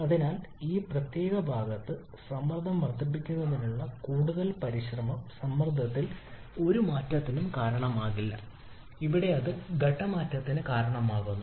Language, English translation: Malayalam, So at this particular portion with further with any further effort to increase the pressure will not cause any change in pressure here that that will cause a change in phase